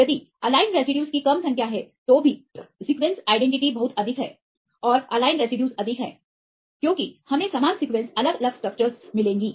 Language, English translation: Hindi, If it is less number of aligned residues, even the sequence identity is very high and aligned residues are high, because we will get same sequence different structures